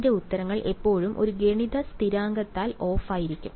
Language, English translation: Malayalam, My answers will be always of by a multiplicative constant